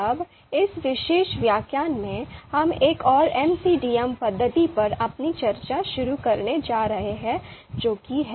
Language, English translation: Hindi, Now in this particular lecture, we are going to start our discussion on one another MCDM method that is ELECTRE